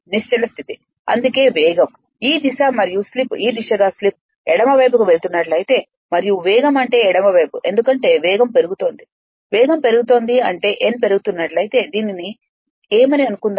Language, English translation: Telugu, That is why speed is this this direction and slip is your this direction if slip is moving from right to left and speed is your what you call left to right right because speed is increasing speed is increasing means that your what you call this suppose if n is increasing